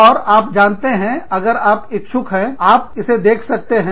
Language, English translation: Hindi, And, you know, if you are interested, you might like to watch it